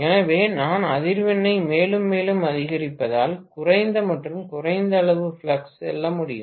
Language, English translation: Tamil, So, I can go for less and less amount of flux as I increase the frequency further and further